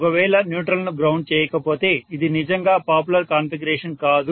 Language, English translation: Telugu, If the neutral is not grounded, it is not a really a popular configuration that is being used